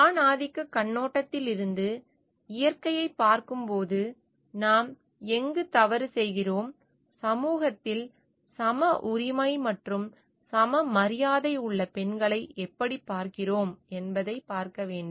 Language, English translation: Tamil, Which is looking at nature from the patriarchal lens and with their we need to see where we are going wrong and how like women who have a equal right, and equal respect in the society